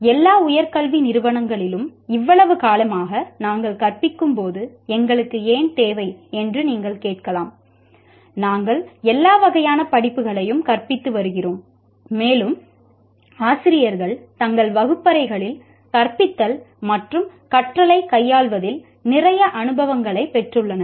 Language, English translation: Tamil, You may ask why do we require when we have been teaching for such a long time in all higher educational institutions, we have been teaching a variety, all types of courses and faculty have acquired a lot of experience in handling teaching and learning in their classrooms